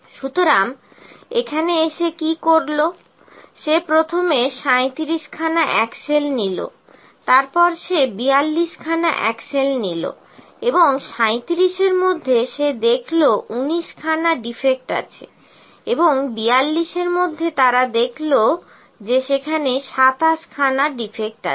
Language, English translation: Bengali, He first picks 37 axles, then he picks 42 axles and out of 37 he finds that there are19 defects are there